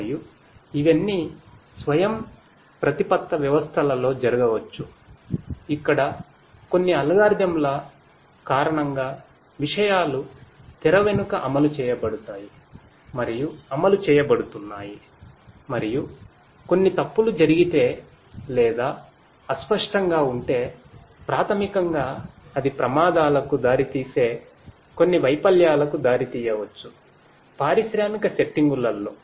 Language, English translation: Telugu, And, all of these can happen in autonomous systems where things are happening you know due to certain algorithms that are implemented you know behind the scene and are getting executed and if you know if some something goes wrong or is imprecise then basically that might lead to certain failures which can lead to accidents in the industrial settings